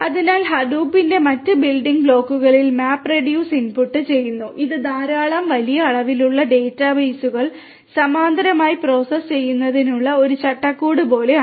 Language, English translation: Malayalam, So, the other building blocks of Hadoop input the MapReduce which is like a framework for processing large number of large amount of data bases in parallel